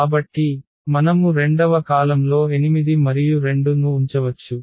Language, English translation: Telugu, So, we can place 8 and 2 in the second column